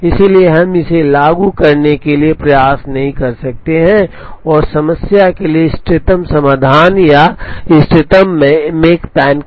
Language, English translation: Hindi, So, we cannot apply this to try and get the optimum solutions or the optimum makespan to the problem